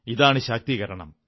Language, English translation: Malayalam, This is empowerment